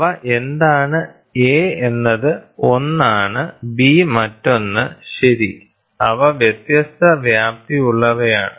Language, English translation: Malayalam, So, what are they A is 1, B is the other, right, they are of varying amplitude